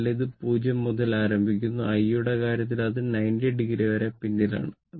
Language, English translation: Malayalam, So, start from it is starting from 0 and in the case of I, it is lagging by 90 degree